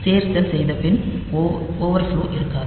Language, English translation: Tamil, So, after doing the addition there is no overflow